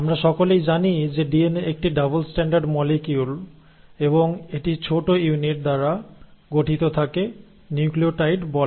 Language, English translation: Bengali, Now we all know that DNA is a double standard molecule and it is made up of smaller units which are called as the nucleotides